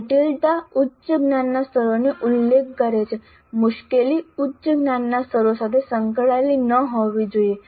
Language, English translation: Gujarati, So, complexity refers to higher cognitive levels, difficulty should not be associated with higher cognitive levels